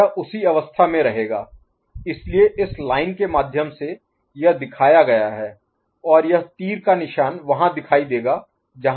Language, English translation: Hindi, It will remain in the same state, so that is what is shown through this line and this arrow mark will be there to show where it is